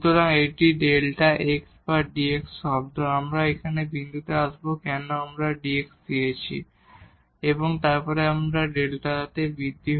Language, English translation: Bengali, So, this is delta x or dx term, we will come to this point why we have written this dx and then this is the increment in delta y